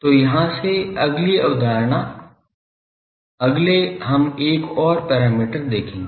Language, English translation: Hindi, So, the next concept from here , next we will see another parameter